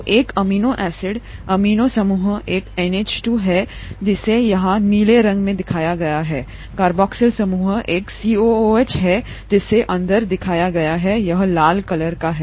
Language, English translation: Hindi, So an amino acid, the amino group is an NH2 shown in blue here, the carboxyl group is a COOH which is shown in red here, okay